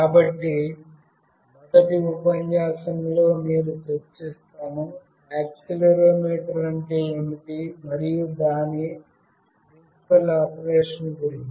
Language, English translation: Telugu, So, in the first lecture, I will be discussing about accelerometer what it is and what is the principle operation